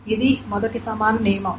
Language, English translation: Telugu, So this is the first equivalence rule